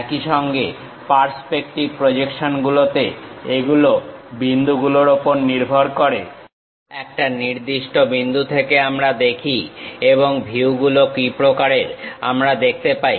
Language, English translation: Bengali, Similarly in the perceptive projections, these are based on point; we look through certain point and what kind of views we will see